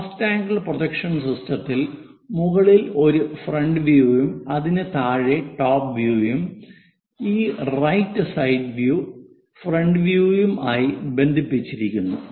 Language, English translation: Malayalam, In first angle projection system it is recommended to have front view at top; top view below that and right side view connected on this front view